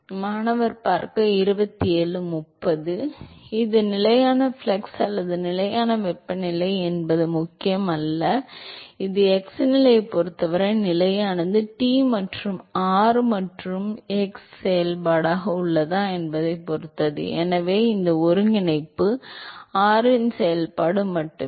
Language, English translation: Tamil, Does not matter, whether it is constant flux or constant temperature, this is constant with respect to x position, depends whether T is a function of x and r right, so this integral is only a function of r